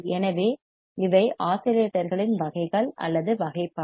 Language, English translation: Tamil, So, these are the types of or classification of the oscillators